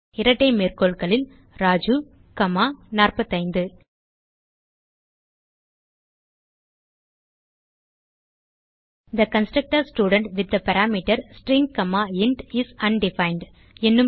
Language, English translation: Tamil, So in double quotes Raju comma 45 We see an error which states that the constructor student with the parameter String comma int is undefined